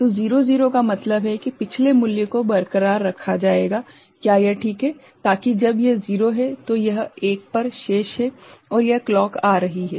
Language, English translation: Hindi, So, 0 0 means previous value will be retained is it fine, so that when this is 0 this is remaining at 1 and this clock is coming